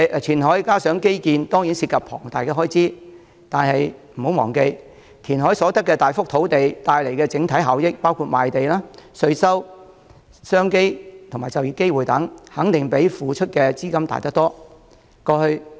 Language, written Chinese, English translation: Cantonese, 填海和基建當然涉及龐大開支，但不要忘記，填海所得的大幅土地帶來的整體效益包括賣地、稅收、商機及就業機會等，肯定比付出的資金大得多。, While reclamation and infrastructure development certainly entail considerable costs we should bear in mind that the overall benefits brought about by the substantial area of reclaimed land such as land sales and tax revenue business and employment opportunities will definitely be much higher than the amount invested